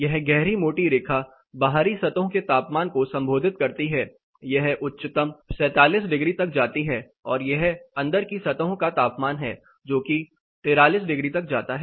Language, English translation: Hindi, This dark thick line this represents the outside surfaces temperature, it goes as highest 47 degrees, and this is inside surfaces temperature claims up to 43 degrees